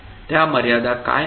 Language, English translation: Marathi, What are those limitations